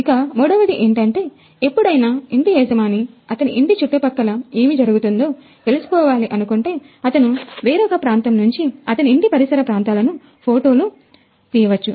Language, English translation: Telugu, And the third feature is if the owner wants to see what is going on near nearby his house, he can click an image from a remote place